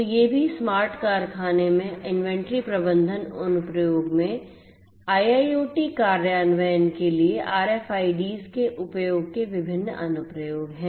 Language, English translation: Hindi, So, these are also the different other applications of use of RFIDs for IIoT implementation in an inventory management application in a smart factory